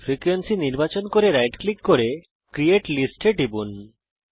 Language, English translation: Bengali, Select the frequency right click and say create list